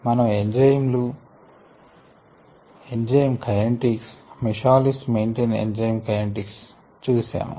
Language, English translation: Telugu, we looked at ah enzyme kinetics, the michaelis menten enzyme kinetics